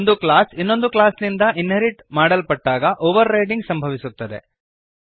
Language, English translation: Kannada, Overriding occurs when one class is inherited from another